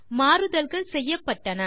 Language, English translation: Tamil, So the changes have been made